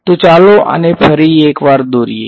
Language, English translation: Gujarati, So, let us draw this once again